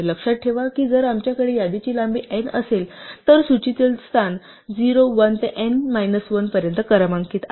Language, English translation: Marathi, Remember that if we have a list of length n, the positions in the list are numbered 0, 1 up to n minus 1